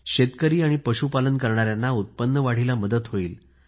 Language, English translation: Marathi, Farmers and cattle herders will be helped in augmenting their income